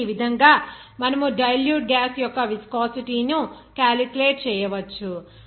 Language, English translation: Telugu, So in this way, you can calculate the viscosity of the dilute gas